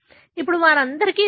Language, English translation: Telugu, Now, all of them have this